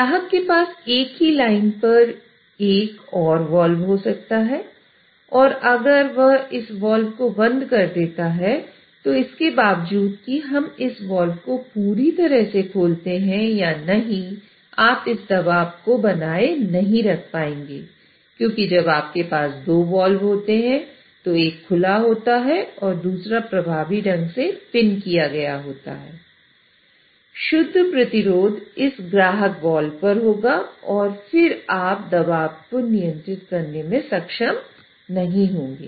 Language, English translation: Hindi, So the customer may have another wall on the same line and if he closes this wall, then irrespective of whether we open this wall completely or not, this pressure may not be, you will not be able to maintain this pressure because when you have two walls, one is open and the other one is pinched, effectively the net resistance will happen on this customer wall and then the pressure you will not be able to control